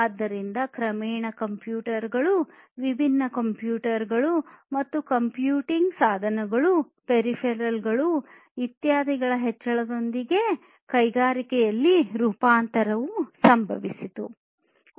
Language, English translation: Kannada, So, gradually with the increase of computers, different, different computers, and computing devices peripherals, etc, the transformation in the industries also happened